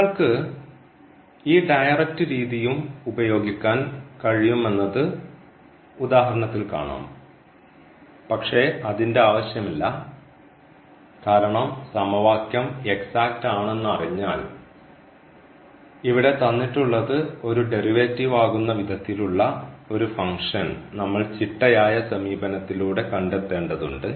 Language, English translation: Malayalam, So, we will see in the example also that one can use this directory as well but there is no need because once we know that the equation is exact we have to just find a function whose differential is this and there was a another systematic approach which works to get this f here